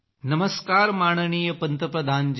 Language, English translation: Marathi, Namaskar respected Prime Minister ji